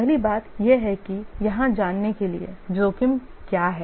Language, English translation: Hindi, The first thing that to know here is what is a risk